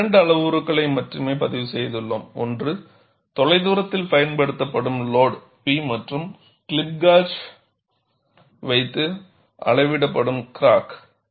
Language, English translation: Tamil, We have recorded only two parameters; one is the remotely applied load P and the displacement of the crack mouth, measured with a clip gauge